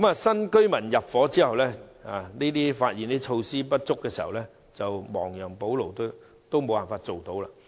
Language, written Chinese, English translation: Cantonese, 新屋邨居民入伙之後，發現設施不足，想亡羊補牢也做不到。, Following the intake of residents in the new estates remedial measures cannot be adopted even if facilities are found to be inadequate